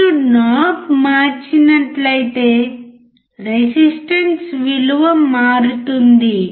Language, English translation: Telugu, If you change the knob the resistance value changes